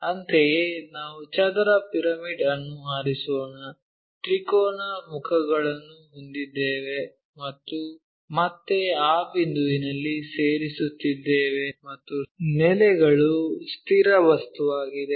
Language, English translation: Kannada, Similarly, let us pick square pyramid we have triangular faces all are again meeting at that point and the base is a fixed object, here in this case it is a square